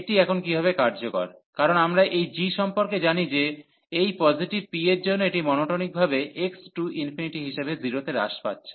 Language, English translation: Bengali, So, how this is useful now, because we know about this g that this is monotonically decreasing to 0 as x approaches to infinity for this p positive